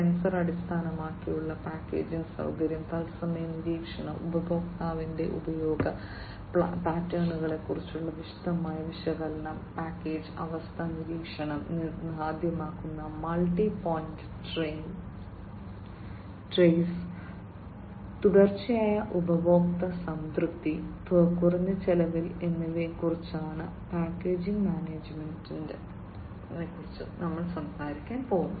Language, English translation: Malayalam, Packaging management talks about sensor based packaging facility, real time monitoring, detailed analytics on customers usage patterns, multi point trace enabling package condition monitoring, continued customer satisfaction, and reduced cost